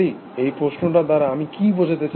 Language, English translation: Bengali, So, what do you mean by this